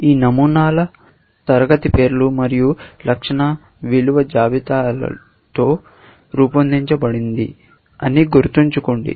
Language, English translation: Telugu, Remember that these patterns are made up of class names and attribute value pairs